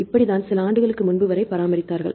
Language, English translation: Tamil, This is how they maintained till few years ago